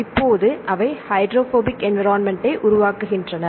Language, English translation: Tamil, Now, they form the hydrophobic environment